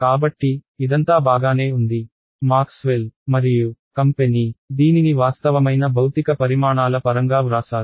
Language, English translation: Telugu, So, this is all fine, this is how Maxwell and company had written it in terms of real valued physical quantities ok